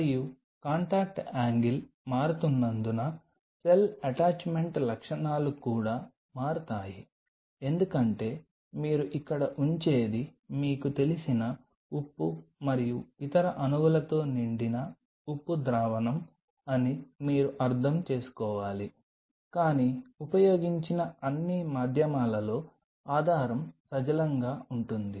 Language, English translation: Telugu, And since the contact angle changes the cell attachment properties also changes because you have to realize the medium what you are putting out here is a salt solution filled with you know salt and other molecules, but the base is aqueous all the mediums which are been used for cell culture are from are on a water base right